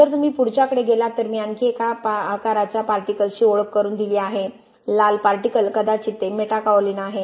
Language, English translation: Marathi, If you go to the next one I have introduced another size of particles, red particles maybe that is Metakaolin